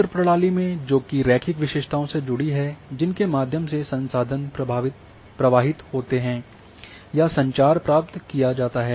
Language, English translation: Hindi, So, in network systems which are connected linear features through which resources flow or communication is achieved